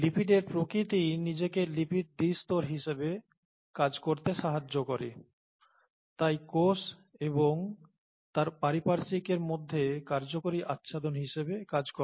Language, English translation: Bengali, The nature of the lipid itself makes it possible for lipids to act as or lipid bilayers to act as effective envelopes between the cell and their surroundings